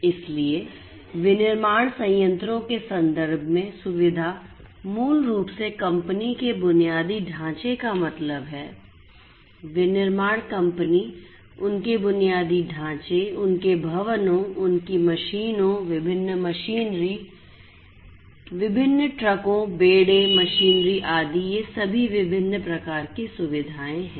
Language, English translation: Hindi, So, facility in the context of manufacturing plants would basically imply the company infrastructure that is there, the manufacturing company, their infrastructure, their buildings, their machines different machinery, the different trucks, the fleet, etcetera all these different types of infrastructure buildings, machinery, etcetera all are these different types of facilities